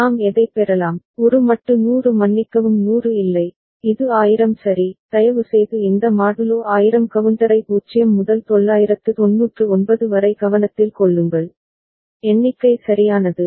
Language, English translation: Tamil, What we can get, we can get a modulo 100 sorry not 100, this is 1000 ok, please take a note of this modulo 1000 counter 0 to 999 ok, the count is possible right